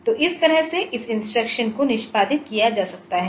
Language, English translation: Hindi, So, this way this add instruction may be executed